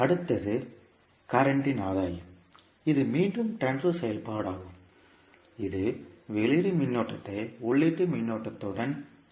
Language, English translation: Tamil, Next is current gain that is again the transfer function which correlates the output current with input current